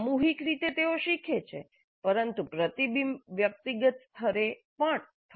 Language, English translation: Gujarati, Collectively they learn but this reflection must occur at individual level also